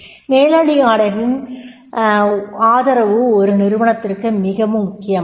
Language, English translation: Tamil, Support of managers is very, very important